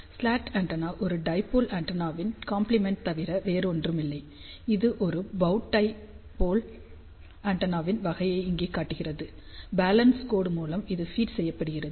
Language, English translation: Tamil, Slot antenna is nothing but a compliment of dipole antenna this one shows over here a bow tie type of a dipole antenna, and this is where it is being fed by balance line